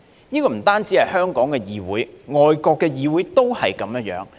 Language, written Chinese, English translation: Cantonese, 不單是香港的議會，外國的議會都是這樣。, This is the case of the legislature in not only Hong Kong but also overseas countries